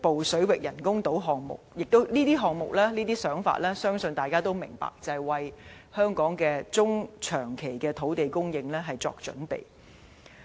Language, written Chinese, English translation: Cantonese, 相信大家也明白，這些項目和想法就是想為香港的中長期土地供應作準備。, I believe Members can understand that these projects and ideas aim to plan for land supply in Hong Kong in the medium and long term